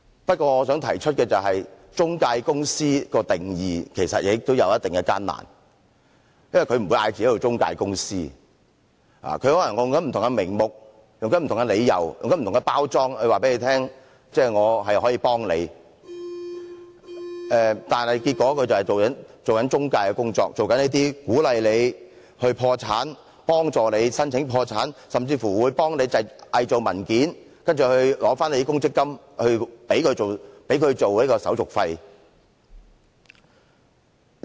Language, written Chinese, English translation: Cantonese, 不過，我想提出的是，就中介公司作出定義，其實也有一定困難，因為它不會自稱為中介公司，它可能會利用不同名目、理由和包裝，然後告訴你它可以幫忙，但結果卻是做中介的工作，鼓勵你破產、幫助你申請破產，甚至幫忙偽造文件，然後提取你的強積金作為它的手續費。, Having said that I wish to point out that actually there are certain difficulties in drawing a definition for intermediaries . It is because they will not claim to be intermediaries for they may make use of various names pretexts and disguises to tell you that they can give you a hand but in essence they are engaged in intermediary activities encouraging you to go broke and helping you file bankruptcy and even engaging in forgery in an attempt to withdraw your MPF benefits as their service charges